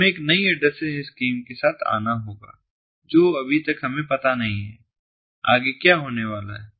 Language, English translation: Hindi, we have to come up with a new addressing scheme, which we do not know yet